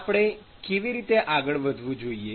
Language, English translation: Gujarati, So, how should we proceed